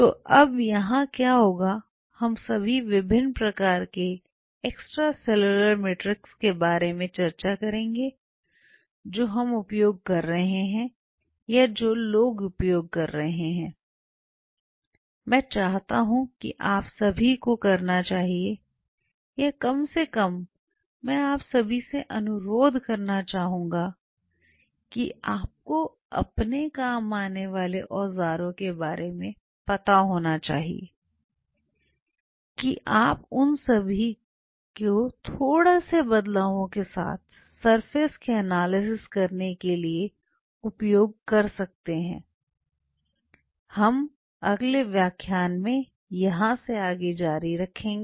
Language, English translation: Hindi, So, now here after what will be, what all will be discussing about the different kind of extracellular matrix what will be using or what people use, I wish all of you should be or at least I request all of you should be aware about the tools at your disposal what all you can use to analyse surfaces with few slight changes we will continue from here ok